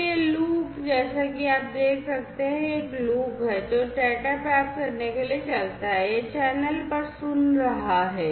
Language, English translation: Hindi, So, this loop as you can see this is a loop, which runs to receive the data, it is listening, you know, it is listening the channel, you know, over the channel